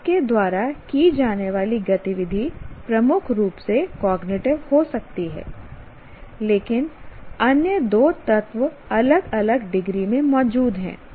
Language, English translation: Hindi, Whatever activity you do, it could be dominantly cognitive and but the other two elements are present to varying degrees